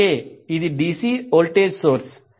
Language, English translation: Telugu, So this is a dc voltage source